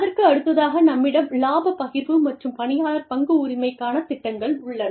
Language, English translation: Tamil, Then, we have profit sharing and employee stock ownership plans